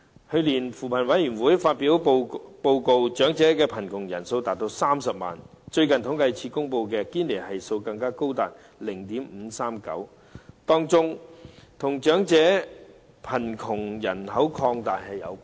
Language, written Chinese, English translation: Cantonese, 去年，扶貧委員會發表報告，長者貧窮人數高達30萬，而最近政府統計處公布的堅尼系數更高達 0.539， 其中原因，與長者貧窮人口擴大有關。, The number of poor elderly people reached 300 000 . The Gini Coefficient recently released by the Census and Statistics Department even reached 0.539 . One of the reasons is related to the growth of the elderly population in poverty